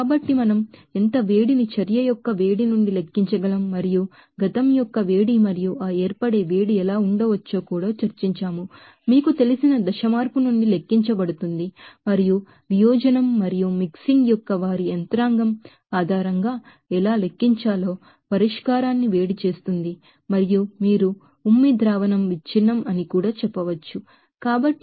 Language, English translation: Telugu, So, we have so discuss that how heat of formation can we calculated from the heat of reaction and also how heat of past and that heat of formation can be, you know, calculated from the you know phase changing and also heat up solution how to calculate based on their mechanism of dissociation and mixing and also you can say breakup of salivate solution